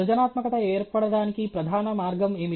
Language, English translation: Telugu, What is the principle way for occurrence of creativity